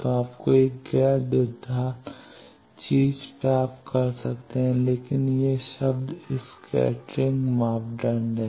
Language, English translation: Hindi, So, that you can get a non quadrature thing, but this is the term scattering parameter